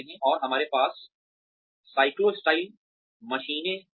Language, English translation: Hindi, And, we used to have the cyclostyle machines